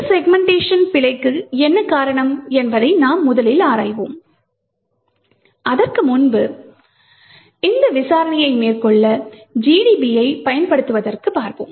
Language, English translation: Tamil, We will first investigate what causes this segmentation fault and as we have seen before we would use GDB to make this investigation